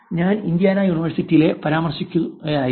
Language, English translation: Malayalam, I was referring to Indiana university